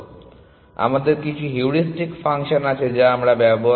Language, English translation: Bengali, So, we have some heuristic function that we use